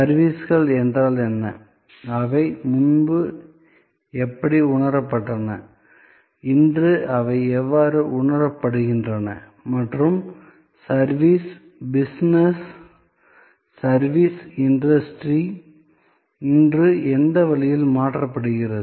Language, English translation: Tamil, What are services, how they were perceived earlier, how they are being perceived today and in what way service business, service industry is transforming today